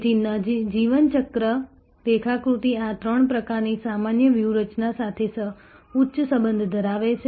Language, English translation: Gujarati, So, the life cycle diagram has a high correlation with this three types of generic strategies